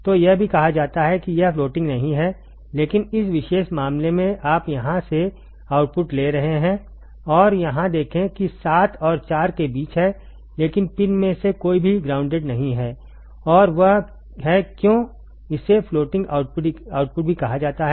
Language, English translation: Hindi, So, it is also called it is not floating, it is not floating, but in this particular case you are you are taking the output from here and see here that is between 7 and 4, but none of the pin is grounded and that is why this is also called floating output, ok